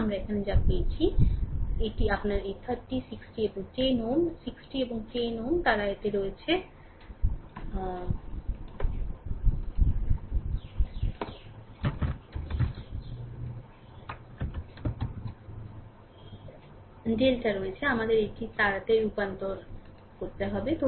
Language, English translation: Bengali, So, here we are getting your what you call that your this 30, 60 and 10 ohm 60 and 10 ohm, they are in it is in delta we have to convert it to star right